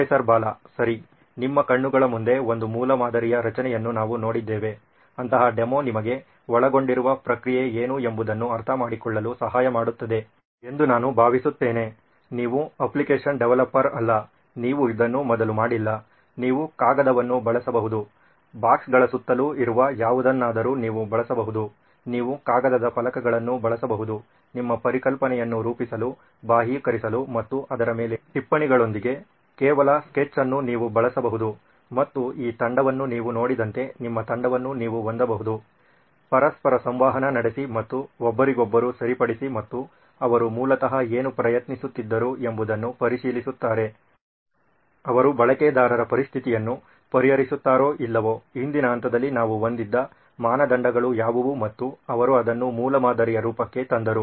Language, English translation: Kannada, Okay so we saw the creation of a prototype right in front of your eyes, I felt that such a demo will actually help you understand what is the process involved, you are not a app developer, you have not done this before, you can use paper, you can use something that is lying around boxes, you can use paper plates, you can use just a sketch with sticky notes on it to model your concept, to externalize and you can have your team like you saw this team, interact with each other and correct each other and going and checking back what is it that they were originally attempting, they is it solving the users situation or not, what are the criteria that we had in the earlier phase and they brought it to this the form of a prototype